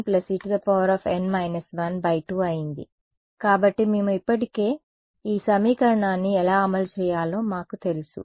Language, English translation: Telugu, So, we already, so we know how to implement this equation right